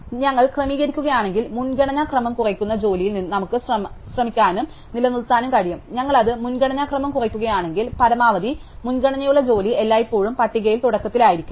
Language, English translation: Malayalam, So, if we sorted we can try and maintain jobs in decreasing order of priority, if we do it decreasing order of priority, then the maximum priority job is always at the beginning of the list